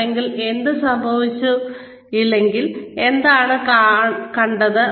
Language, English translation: Malayalam, If yes, if it occurred, what did you see